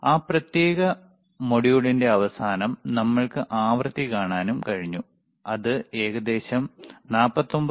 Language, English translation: Malayalam, Then at the end of that particular module, we were also able to see the frequency, which we were able to measure around 49